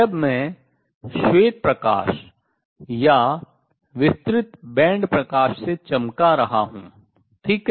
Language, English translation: Hindi, When I am shining white light or a broad band light right